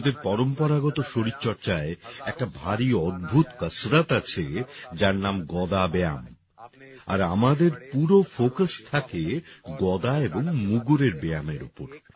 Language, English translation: Bengali, There is a very amazing exercise in the traditional exercises of India which is 'Gada Exercise' and our entire focus is on Mace and Mugdar exercise only